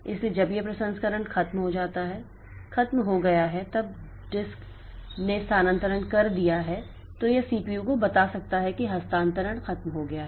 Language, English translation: Hindi, So, when this processing is over this when the disk controller has done the transfer, then it may tell the CPU okay the transfer is over so you can take the content from the location